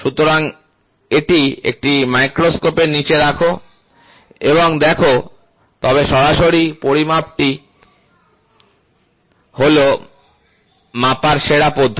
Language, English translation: Bengali, So, put it under a microscope and look, but direct measurement is the best method to measure